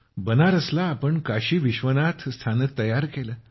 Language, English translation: Marathi, Sir, you have made Banaras Kashi Vishwanath Station, developed it